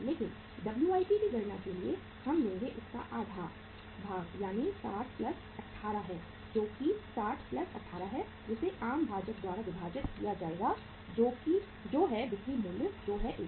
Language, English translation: Hindi, But for calculating the WIP we will take that is 60 plus half of this is 18 that is 60 plus 18 to be divided by the common denominator that is the selling price that is 120